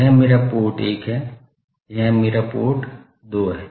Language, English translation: Hindi, This is my port 1, this is my port 2